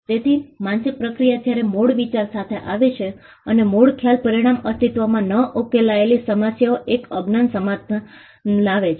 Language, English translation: Gujarati, So, the mental process when it comes up with an original idea and the original idea results in an unknown solution to an existing unsolved problem